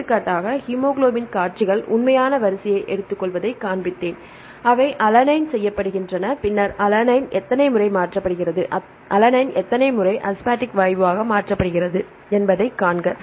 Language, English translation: Tamil, For example, I showed the hemoglobin sequences take the actual sequence and just they align and then see what is the actual rate how many times alanine is mutated to valine how many times alanine is mutated to asphaltic gas